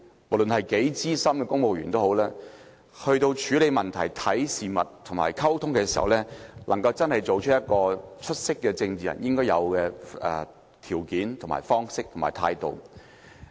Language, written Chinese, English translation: Cantonese, 無論是多資深的公務員，他在處理問題、看事物和溝通時，也要做到出色政治人應有的條件、方式和態度。, Regardless of how experienced a civil servant is he or she must be able to demonstrate the qualities means and attitude of a great politician in dealing with issues addressing matters and taking part in communication